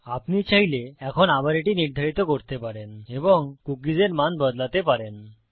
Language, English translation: Bengali, And then from here you can set it again if you like and you can change the values of the cookie